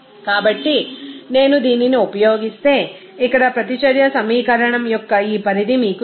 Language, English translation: Telugu, So, in that case if I use this, you know this extent of reaction equation here